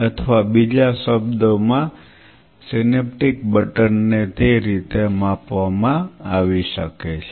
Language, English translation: Gujarati, Or in other word synaptic button could be quantified in that way